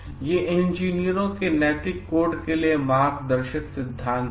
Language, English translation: Hindi, So, these are the guiding principles for the ethical codes of engineers